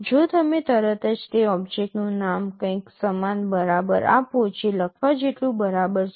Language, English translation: Gujarati, If you straightaway give the name of that object equal to something, which is equivalent to write